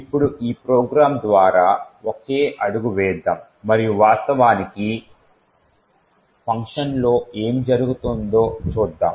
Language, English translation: Telugu, Now let us single step through this program and see what is actually happening in function